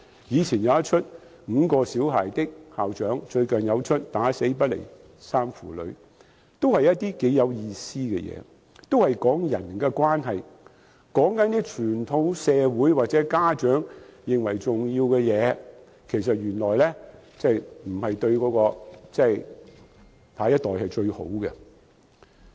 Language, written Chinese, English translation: Cantonese, 早前放映的"五個小孩的校長"和最近的"打死不離3父女"，同樣是頗有意思的電影，講述人與人的關係，原來一些傳統社會或家長認為重要的事對下一代並非最好。, Both the films Little Big Master and Dangal shown earlier have profound meaning concerning inter - personal relationships . They make us realize that choices considered important by some traditional societies or parents are not necessarily the best for the next generation